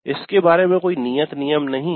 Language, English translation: Hindi, There is no hard and fast rule regarding it